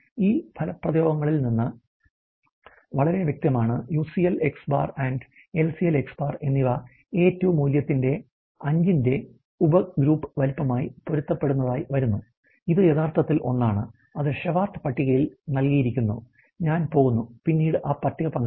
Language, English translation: Malayalam, It is very clear from these expressions that the enough the UCL, and the LCL are coming out to be corresponding to a subgroup size of the 5 of the A2 value is actually one and that is given in the Shewhart table and I am going to share that table later on